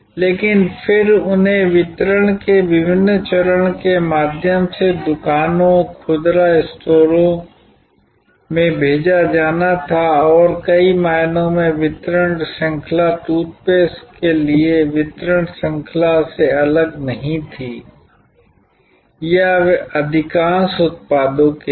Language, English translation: Hindi, But, then those had to be sent to stores, retail stores through various stages of distribution and in many ways that distribution chain was no different from the distribution chain for toothpaste or so for most of the products